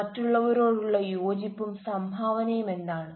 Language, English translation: Malayalam, what is the coherence and contribution towards others